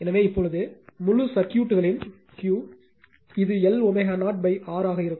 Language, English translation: Tamil, So, now Q of the whole circuit it will be L omega 0 upon R right